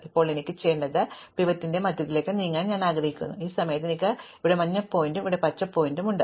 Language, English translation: Malayalam, And now what I want to do is, I want to move the pivot to the center, at this point I have the yellow pointer here and the green pointer here